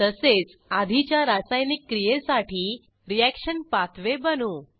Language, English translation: Marathi, Likewise, I will create the reaction pathway for the previous reaction